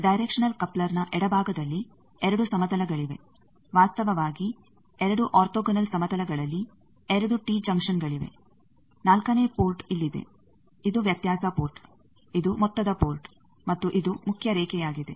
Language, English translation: Kannada, Left side of a directional coupler it is the 2 planes actually 2 tee junctions in 2 orthogonal planes that makes it the fourth port is here, this is the difference port, this is the sum port and this is the main line